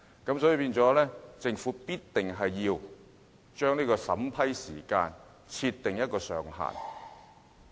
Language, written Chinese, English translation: Cantonese, 因此，政府一定要為審批時間設定上限。, For that reason the Government should set a time ceiling for the vetting and approval process